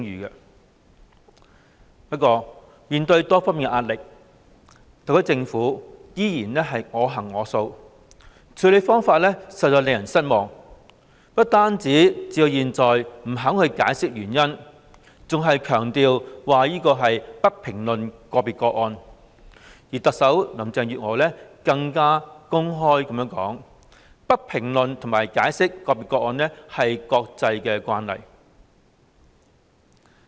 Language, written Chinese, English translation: Cantonese, 然而，面對多方壓力，特區政府依然我行我素，處理方法實在令人失望，不但至今未肯解釋原因，更強調"不評論個別個案"，特首林鄭月娥更公開說"不評論和解釋個別個案是國際慣例"。, Nevertheless in the face of pressures from all sides the SAR Government persists in its own way with a really disappointing approach . Not only has it failed to give any explanation it has also stressed that it would not comment on individual cases . Chief Executive Carrie LAM even said openly that it is an international practice not to comment on or give an account for individual cases